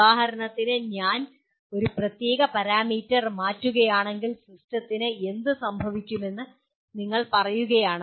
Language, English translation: Malayalam, For example if you say if I change a certain parameter what happens to the system